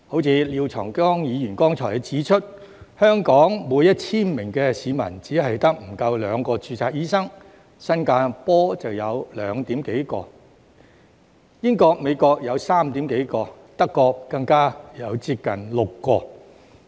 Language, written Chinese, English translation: Cantonese, 正如廖長江議員剛才指出，香港每 1,000 名市民只有不足兩名註冊醫生，新加坡有2點幾名，英國和美國有3點幾名，德國更有接近6名。, As Mr Martin LIAO has pointed out just now the number of registered doctors per 1 000 population is less than 2 in Hong Kong; slightly more than 2 in Singapore; slightly more than 3 in the United Kingdom and the United States; and nearly 6 in Germany